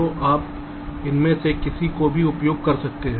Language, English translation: Hindi, so either one you can use